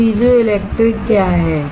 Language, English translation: Hindi, So, what is piezo electric then